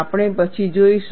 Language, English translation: Gujarati, We would see later